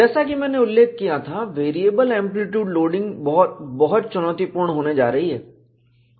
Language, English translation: Hindi, As I mentioned, variable amplitude loading is going to be very very challenging